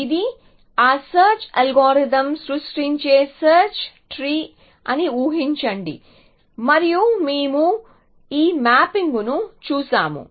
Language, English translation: Telugu, So, just imagine that this is a search tree that that search same search algorithm generates and we saw this mapping